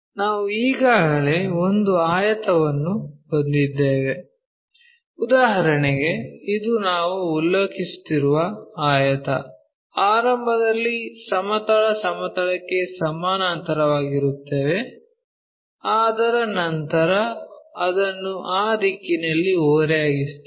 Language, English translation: Kannada, We already have a rectangle, for example, this is the rectangle what we are referring to, initially we have parallel tohorizontal plane, after that we have this tilt, after that we want to tilt it in that direction